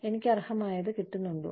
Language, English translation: Malayalam, Am I getting, what I am